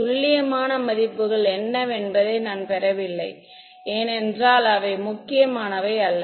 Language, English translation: Tamil, I am not getting into what the precise values are because they are not important ok